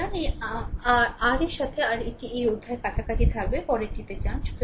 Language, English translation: Bengali, So, with this your this a this chapter will be close, so we will go to the next one right